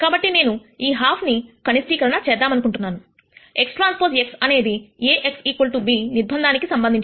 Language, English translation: Telugu, So, I want to minimize this half; x transpose x subject to the constraint A x equal to b